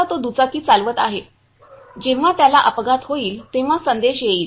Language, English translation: Marathi, Now he is riding the bike when he will meet the accident, it will send the message